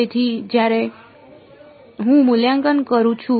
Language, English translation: Gujarati, So, when I evaluate